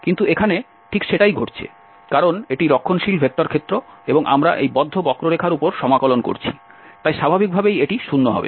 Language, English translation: Bengali, So, here this is what exactly happening, because this is the conservative vector field and we are integrating over this close curve so, naturally this will be 0